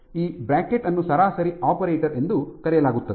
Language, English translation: Kannada, So, this bracket is called an average operator